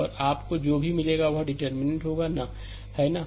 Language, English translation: Hindi, And whatever you will get that will be your determinant, right